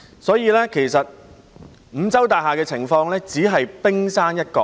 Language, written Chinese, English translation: Cantonese, 所以，其實五洲大廈的情況只是冰山一角。, For that reason the case of the Continental Mansion is just the tip of the iceberg